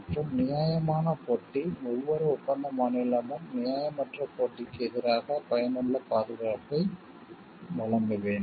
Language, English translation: Tamil, Unfair competition, each contracting state must provide for effective protection against unfair competition